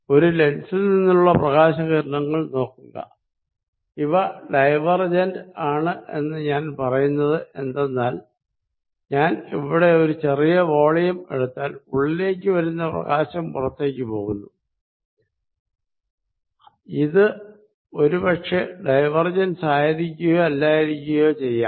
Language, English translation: Malayalam, Let see light rays from a lens, because I say are diverging and if I take small volume here, in that case whatever light comes in is also going out, it maybe may not be diverging